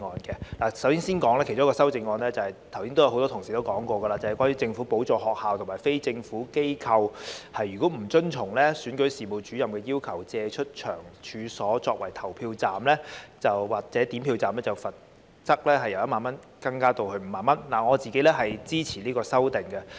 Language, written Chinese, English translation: Cantonese, 其中一項修正案——剛才很多同事也提過了——是關於政府補助學校及非政府機構如果不遵從總選舉事務主任的要求，借出其處所作為投票站或點票站，罰款會由1萬元增加至5萬元，我對此表示支持。, One of the amendments which has also been mentioned by many colleagues just now concerns increasing the fine to be imposed if schools and non - governmental organizations NGOs receiving grants from the Government do not comply with the request of the Chief Electoral Officer CEO to make available their premises for use as polling stations or counting stations . The fine will be increased from 10,000 to 50,000 and I support this amendment